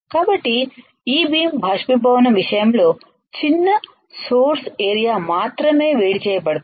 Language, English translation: Telugu, So, in case of this E beam evaporation as only small source area is heated